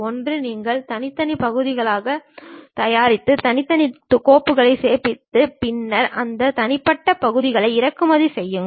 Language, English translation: Tamil, One you prepare individual parts, save them individual files, then import those individual parts make assemble